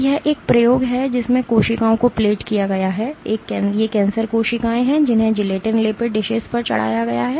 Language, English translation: Hindi, So, this is an experiment, in which cells have been plated, these are cancer cells, which have been plated on gelatin coated dishes